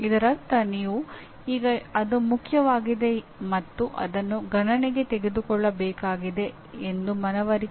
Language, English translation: Kannada, That means you now are convincing yourself that it is important and it needs to be taken into consideration